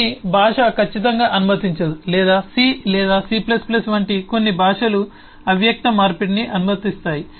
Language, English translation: Telugu, some language will exactly disallow that, or some languages like c or c plus plus, will allow implicit conversion